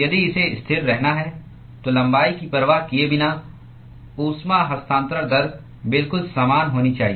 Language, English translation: Hindi, If, it were to be constant, then irrespective of the length, the heat transfer rate should be exactly the same